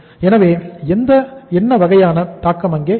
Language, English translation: Tamil, So what kind of the impact will be there